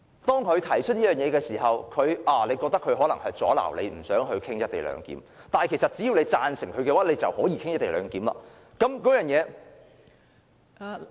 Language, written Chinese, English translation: Cantonese, 當他提出這項議案的時候，大家覺得他可能是要阻撓議員，不想討論"一地兩檢"，但其實只要我們贊成他的議案，便可以討論"一地兩檢"。, When he proposed this motion we thought he might be impeding Members from discussing the motion on co - location arrangement . But actually if we support his motion we will be able to discuss the co - location arrangement